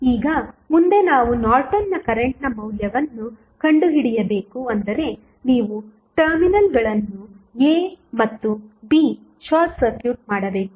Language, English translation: Kannada, Now, next is we need to find out the value of Norton's current that means you have to short circuit the terminals A and B